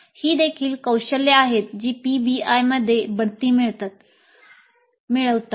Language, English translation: Marathi, These are also the skills which get promoted with PBI